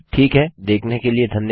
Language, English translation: Hindi, Okay thanks for watching